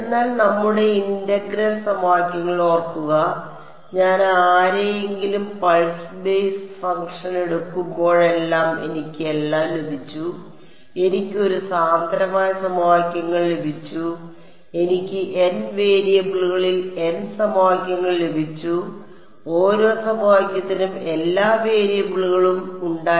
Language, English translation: Malayalam, But remember in our integral equations whenever I took anyone pulse basis function I got all I got a dense system of equations I have got n equations in n variables and each equation had all the variables